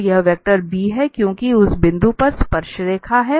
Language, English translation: Hindi, So, this is the vector b because that is the tangent line at that point